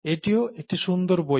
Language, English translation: Bengali, It's also a nice book